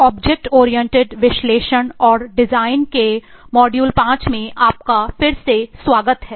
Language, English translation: Hindi, Eh welcome to module 5 of object oriented analysis and design